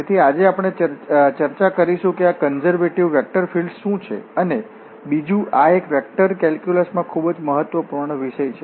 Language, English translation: Gujarati, So, today we will discuss that what are these conservative vector fields and the second again is very important topic in a vector calculus we will discuss Independence of Path